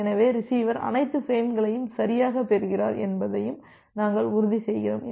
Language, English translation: Tamil, So, we are also ensuring that the receiver receives all the frames correctly